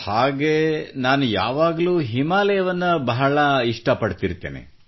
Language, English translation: Kannada, Well I have always had a certain fondness for the Himalayas